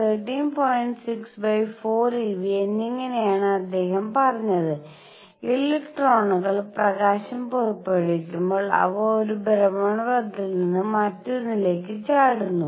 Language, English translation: Malayalam, 6 over 4 e V and so on what he said is when electrons emit light they jump from one orbit to the other in doing so, they emit one photon